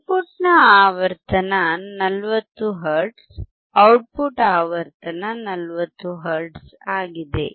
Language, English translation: Kannada, Frequency of input is 40 hertz; output frequency is 40 hertz